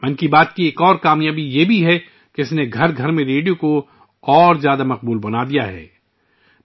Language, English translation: Urdu, Another achievement of 'Mann Ki Baat' is that it has made radio more popular in every household